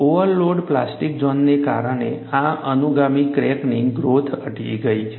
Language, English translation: Gujarati, The subsequent crack growth is retarded due to this, because of the overload plastic zone